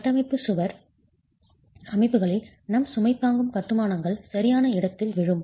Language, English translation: Tamil, In structural wall systems, this is where our load bearing masonry constructions would fall into